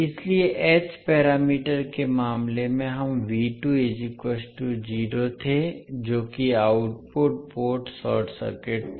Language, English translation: Hindi, So in case of h parameters we were having V2 is equal to 0 that is output port was short circuited